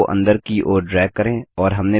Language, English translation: Hindi, Drag the arrow inwards